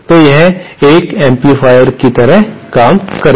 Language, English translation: Hindi, So, this will act like an amplifier